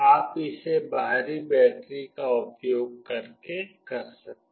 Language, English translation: Hindi, You can do that using this external battery